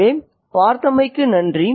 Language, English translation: Tamil, So thank you for watching